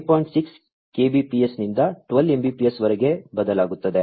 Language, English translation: Kannada, 6 Kbps to 12 Mbps